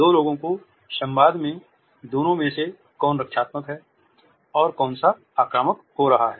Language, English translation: Hindi, In the dialogue of the two people which of the two is being defensive and which one is being aggressive